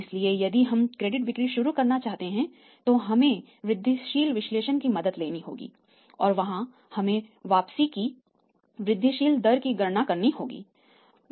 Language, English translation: Hindi, So, if you want to start the credit sales we have to take the help of the incremental analysis and there we have to calculate the IROR incremental rate of return